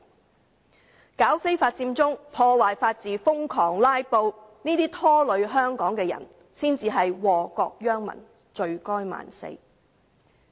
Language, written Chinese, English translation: Cantonese, 組織非法佔中、破壞法治、瘋狂"拉布"，這些拖累香港的人，才是禍國殃民，罪該萬死。, Those who have dragged down Hong Kong by organizing the illegal Occupy Central movement damaging the rule of law and filibustering like crazy are the ones who warrant the harshest punishment for wrecking the country and ruining the people